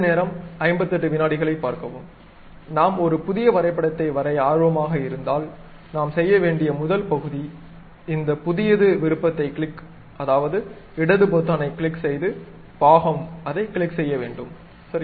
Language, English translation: Tamil, If we are interested in constructing a new drawing, the first part what we have to do is go to this new option, click means left button click, part by clicking that, then OK